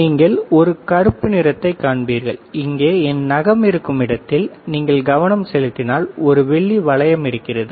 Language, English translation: Tamil, And you will see a black and if you focus right here where my nail is there right here, there is a silver ring